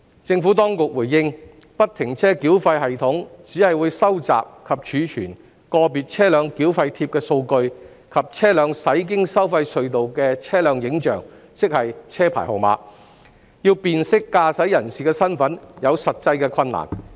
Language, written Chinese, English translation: Cantonese, 政府當局回應，不停車繳費系統只會收集及儲存個別車輛繳費貼的數據，以及車輛駛經收費隧道的車輛影像，要辨識駕駛人身份有實際困難。, The Administration has responded that FFTS will only capture and store data of the vehicle - specific toll tags VTTs and images of a vehicle when the vehicle passes through a tolled tunnel hence the practical difficulty of identifying the driver for toll payment